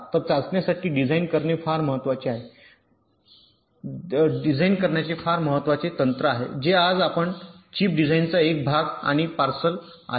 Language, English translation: Marathi, ok, so design for testabilities are very important technique which is part and partial of chip design today